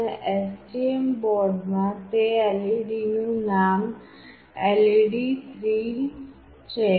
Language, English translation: Gujarati, And the name of the LED in that STM board is LED3